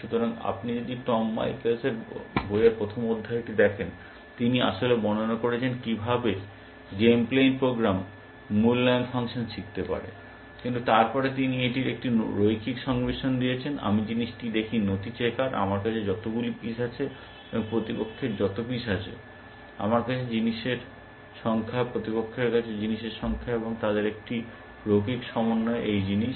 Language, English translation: Bengali, So, if you look at Tom Michaels book the first chapter, he actually describes, how game playing program can learn evaluation function, but then he gives it a linear combination of, I thing is document checkers, of number of pieces I have, and number of pieces opponent have, number of things I have, number of things opponent has, and a linear combination of them is this thing